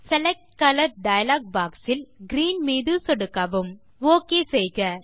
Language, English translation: Tamil, In the Select Color dialogue box, click green.Click OK